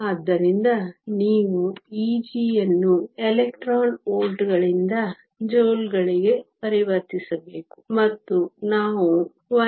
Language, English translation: Kannada, So, you have to convert E g from electron volts to joules and that we can do by just multiplying by 1